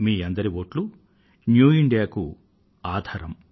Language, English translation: Telugu, Your vote will prove to be the bedrock of New India